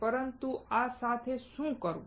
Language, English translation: Gujarati, But what to do with this